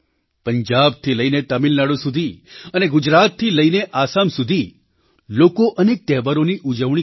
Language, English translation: Gujarati, From Punjab to Tamil Nadu…from Gujarat to Assam…people will celebrate various festivals